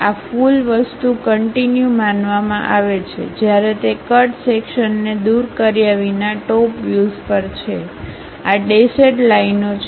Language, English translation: Gujarati, This entire thing supposed to be continuous one whereas, in top view without removing that cut section; these are dashed lines